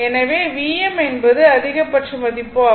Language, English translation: Tamil, So, V m is the maximum value